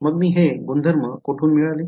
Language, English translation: Marathi, So, where do I get these properties from